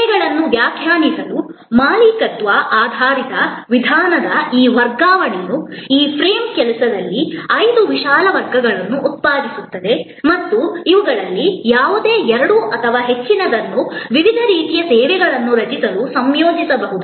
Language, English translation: Kannada, And this non transfer of ownership oriented approach to define services produce five broad categories with in this frame work and any two or more of these can be combined to create different kinds of services